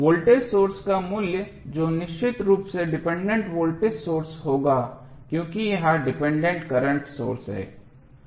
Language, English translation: Hindi, The value of the voltage source that is definitely would be the dependent voltage source because this is the dependent current source